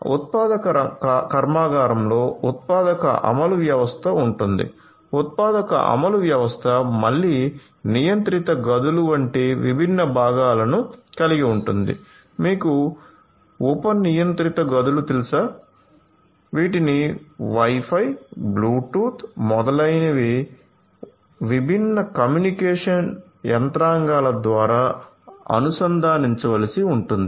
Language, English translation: Telugu, So, the manufacturing plant will have the manufacturing execution system right, manufacturing execution system which will again have different different components like controlled rooms, you know sub controlled rooms and so on which will also have to be connected through this different communication mechanisms like may be Wi Fi, Bluetooth, etcetera